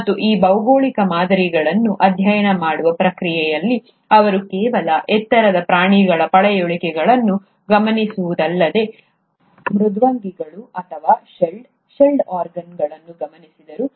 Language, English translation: Kannada, And in the process of studying these geological specimens, he did observe a lot of fossils of not just high end animals, but even molluscs, or shelled, shelled organisms